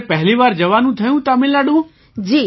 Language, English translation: Gujarati, Was it your first visit to Tamil Nadu